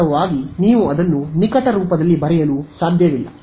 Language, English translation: Kannada, In fact, it you cannot write it in close form